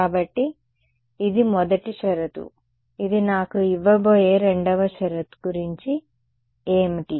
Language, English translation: Telugu, So, this is the first condition; what about the second condition its going to give me